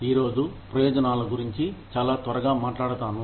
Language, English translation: Telugu, Today, we will talk about, benefits, very quickly